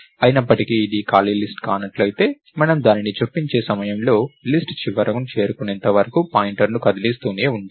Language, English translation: Telugu, However, if it is not an empty list, then we keep moving the pointer till we hit the end of the list at that point we insert it